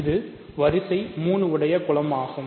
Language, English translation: Tamil, So, it is a group of order 3